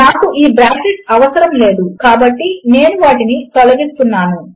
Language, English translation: Telugu, Remember I dont need these brackets so Im going to take them out